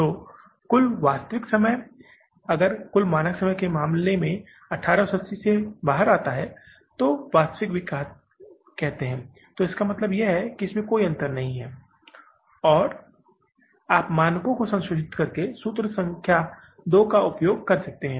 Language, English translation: Hindi, So, total actual time if it comes out as 180, 0 in case of standard and the say actual also, so it means there is no difference and you can use the formula number to simply by revising the standards